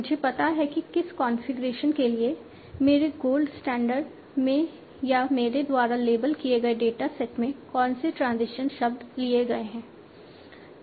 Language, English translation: Hindi, I know for what configurations, what transitions were taken in my gold standard or in my set of label data set